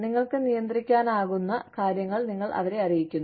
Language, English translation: Malayalam, You let them know, what you can control